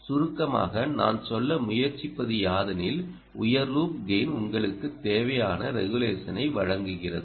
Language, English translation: Tamil, what i am a trying to say in summary is: the high loop gain gives you the required regulation